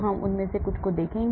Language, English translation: Hindi, we will look at some of them